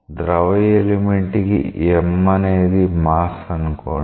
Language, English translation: Telugu, For a fluid element let us say that m is the mass of a fluid element